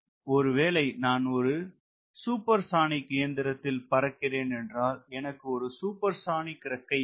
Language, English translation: Tamil, right, suppose i am flying a supersonic machine, so i want a supersonic [week/wing] wing